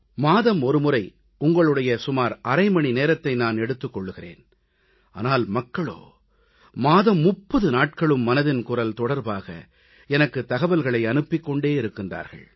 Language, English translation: Tamil, I just take half an hour of your time in a month but people keep sending suggestions, ideas and other material over Mann Ki Baat during all 30 days of the month